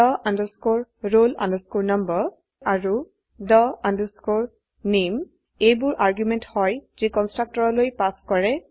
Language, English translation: Assamese, the roll number and the name are the arguments passed to the constructor